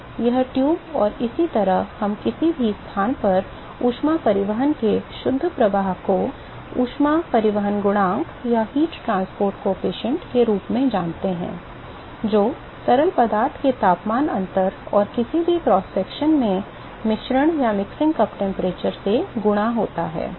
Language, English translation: Hindi, So, this tube and so, we know the net flux of heat transport at any location as heat transport coefficient multiplied by the temperature difference of the fluid which is outside and the mixing cup temperature at any cross section